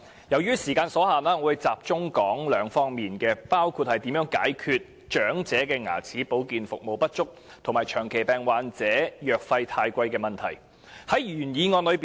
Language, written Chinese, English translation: Cantonese, 由於時間所限，我會集中談兩方面事宜，包括如何解決長者牙齒保健服務不足，以及長期病患者藥費過高的問題。, Owing to the time constraint I am going to focus my speech on two areas namely how to address the problem of inadequate dental care services for the elderly and the problem of high drug costs faced by chronic patients